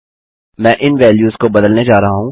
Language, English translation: Hindi, Im going to change these values